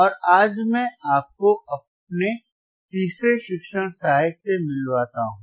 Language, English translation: Hindi, And today I will introduce you to my third teaching assistant